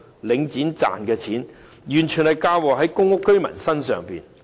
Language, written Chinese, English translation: Cantonese, 領展賺的錢完全出自公屋居民身上。, The profits made by Link REIT entirely come from the PRH tenants